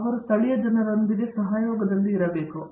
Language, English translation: Kannada, They need to be in association with the local people